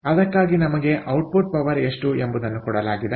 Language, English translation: Kannada, so for that, ah, we were given what is output power